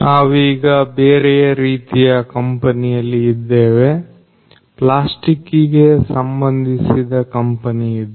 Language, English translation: Kannada, So, right now, we are in a different type of company a plastic based company